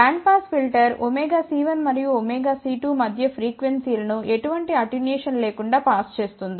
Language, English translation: Telugu, A band pass filter will pass the frequencies between omega c 1 and omega c 2 without any attenuation